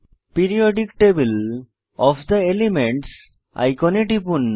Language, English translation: Bengali, Click on Periodic table of the elements icon